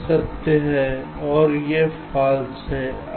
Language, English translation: Hindi, this is true and this is false